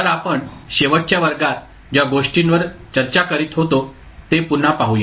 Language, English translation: Marathi, So, let us recap what we were discussing in the last class